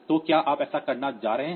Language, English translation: Hindi, So, are you going to do that